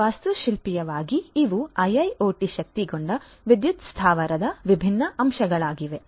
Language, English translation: Kannada, So, architecturally you know so these are the different components of a you know of an IIoT enabled power plant